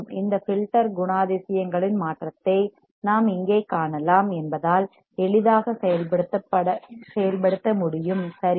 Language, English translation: Tamil, The transformation of this filter characteristics can be easily implemented as we can see here right